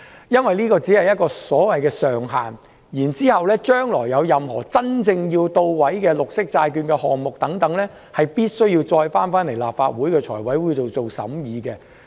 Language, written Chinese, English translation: Cantonese, 因為這只是一個所謂的上限，政府將來若真正要推行任何綠色債券項目，必須提交立法會財務委員會進行審議。, Since this is only a so - called cap if the Government really intends to implement any green bond issuance in the future a proposal must be submitted to the Finance Committee of the Legislative Council for scrutiny